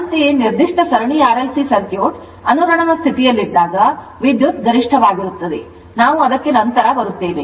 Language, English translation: Kannada, Similarly, for electrical circuit particular series RLC circuit when it is a resonance condition the current is maximum right, we will come to that